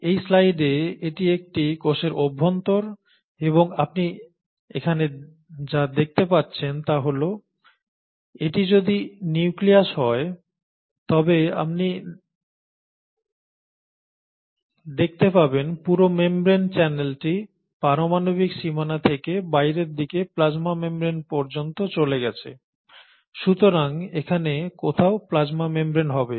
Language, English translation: Bengali, So this is the interior of a cell in this slide and what you can see here is that starting from, so if this were the nucleus, from the nuclear boundary moving outwards you see a whole channel of membranes extending all the way up to the plasma membrane, so plasma membrane would be somewhere here